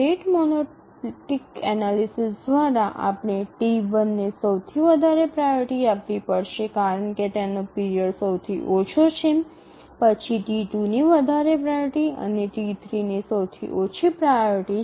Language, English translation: Gujarati, By the rate monotonic analysis we have to give the highest priority to T1 because its period is the shortest, next highest priority to T2 and T3 is the lowest priority